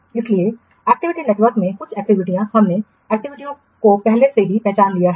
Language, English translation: Hindi, So some activities in the activity network we have already identified the activities